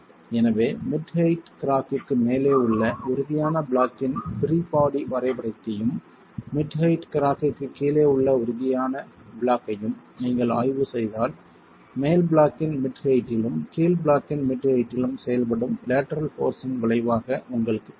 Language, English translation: Tamil, So, if you were to examine the free body diagram of the rigid block above the mid height crack and rigid block below the mid height crack you have the resultant of the lateral force acting at the mid height of the top block and mid height of the bottom block